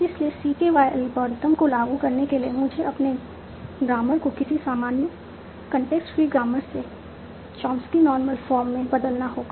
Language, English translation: Hindi, So to apply CKY algorithm, so my grammar must be converted to a normal form called Chomsky Normal Form